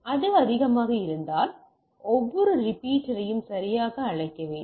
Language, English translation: Tamil, If it is more then we require something call every repeater right